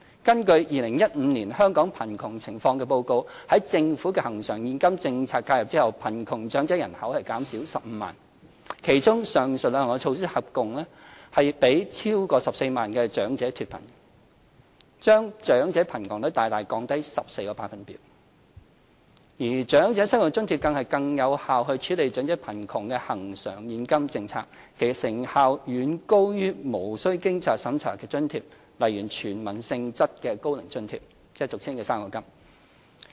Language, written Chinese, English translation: Cantonese, 根據《2015年香港貧窮情況報告》，在政府恆常現金政策介入後，貧窮長者人口減少15萬，其中上述兩項措施合共令超過14萬名長者脫貧，把長者貧窮率大大降低14個百分點，而長者生活津貼更是最有效處理長者貧窮的恆常現金政策，其成效遠高於無須經濟審查的津貼，例如屬"全民"性質的高齡津貼，即俗稱的"生果金"。, According to the Hong Kong Poverty Situation Report 2015 after the Governments recurrent cash intervention the population of poor elderly shrank by 150 000 in which the above two measures totally lifted 140 000 elderly people out of poverty significantly reducing the elderly poverty rate by 14 percentage points . Of all the policies distributing recurrent cash payments for alleviating elderly poverty OALA is the most effective one much more effective than other non - means - tested payments such as Old Age Allowance OAA generally known as fruit grant which is universal in nature